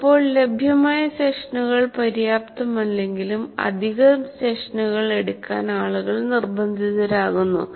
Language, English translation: Malayalam, Sometimes even if available sessions are not enough, people are forced to take additional sessions